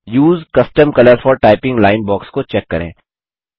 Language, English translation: Hindi, Check the Use custom colour for typing line box